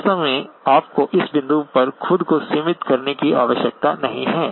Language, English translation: Hindi, So in fact, you do not need to restrict yourself to this point